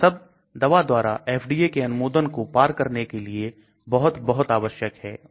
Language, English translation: Hindi, These are all very, very important for drug to cross the FDA approval